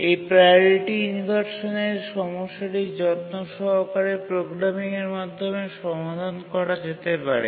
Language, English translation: Bengali, Simple priority inversion can be solved through careful programming